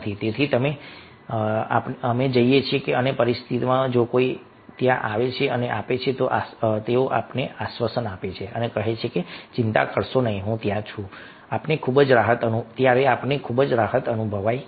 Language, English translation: Gujarati, so we go and in these situation, if somebody is there, coming and giving, consoling and telling, dont worry, i am there, we feel, ah, very much relief, we feel good